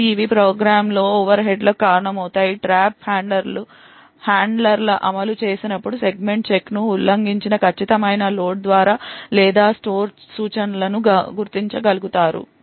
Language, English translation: Telugu, Now these could cause overheads in the program now one thing what you would observe were here is when the trap handler executes it would be able to identify the precise load or store instruction that has violated the segment check